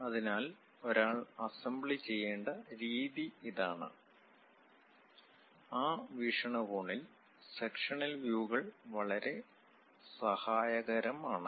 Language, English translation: Malayalam, So, this is the way one has to make assembly; for that point of view the sectional views are very helpful